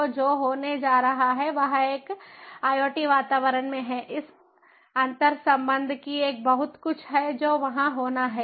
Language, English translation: Hindi, so what is going to happen is, in an iot environment, there has to be lot of these interconnectivities that have to be there